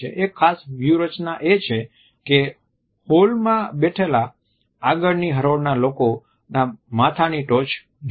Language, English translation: Gujarati, A particular strategy is to look at the top of head at the front row of people who are sitting in the hall